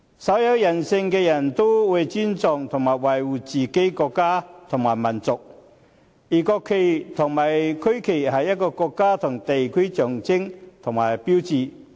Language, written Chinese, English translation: Cantonese, 稍有人性的人都會尊重和維護自己的國家和民族，而國旗和區旗是一個國家和地區的象徵與標誌。, Anyone who has the slightest sense of human righteousness will respect and protect his own country and nation . The national flag and the regional flag are the symbols and icons of a country and a region